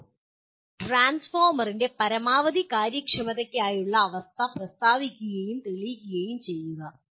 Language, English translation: Malayalam, State and prove the condition for maximum efficiency of a transformer